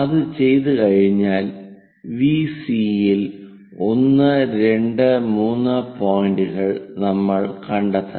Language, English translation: Malayalam, Once it is done, we have to locate few points 1, 2, 3 on VC prime